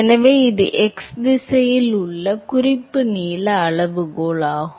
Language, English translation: Tamil, So, that is the reference length scale in x direction